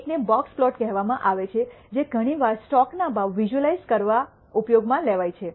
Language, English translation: Gujarati, One is called the box plot, which is used most often in sometimes in visualizing stock prices